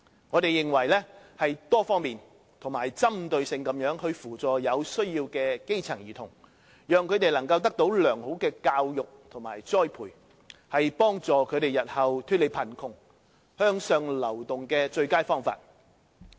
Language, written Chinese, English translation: Cantonese, 我們認為，多方面及針對性地扶助有需要的基層兒童，讓他們得到良好的教育和栽培，是幫助他們日後脫離貧窮和向上流動的最佳方法。, We consider that providing support to needy children from the grass roots using a multi - faceted target - specific approach to enable them to receive good education and training is the best way to help these children get rid of poverty and move up the social ladder